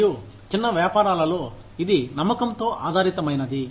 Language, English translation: Telugu, And, in small businesses, it is trust based